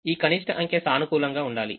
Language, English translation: Telugu, those numbers will all be positive number